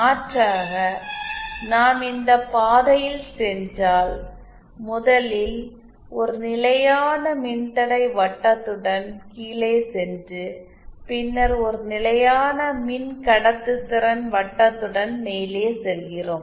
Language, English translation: Tamil, Alternatively if we go along this path where first we go down along a constant resistance circle, and then go up along a constant conductance circle